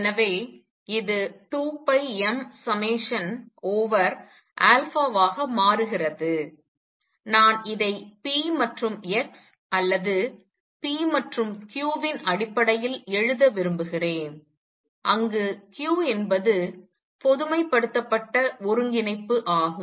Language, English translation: Tamil, So, this becomes 2 pi m summation over alpha I want to write this in terms of p and x or p and q where q is the generalized coordinate